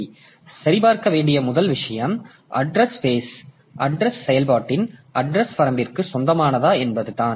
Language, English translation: Tamil, So, first thing that has to be checked is whether the address belongs to the address range of the process